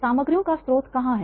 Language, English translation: Hindi, Where is the source of materials